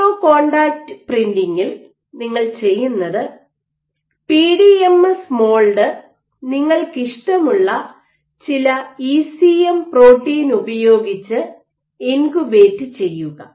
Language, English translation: Malayalam, So, in micro contact printing what you do is let us say this is your PDMS mold, you incubate it with some ECM protein of your choice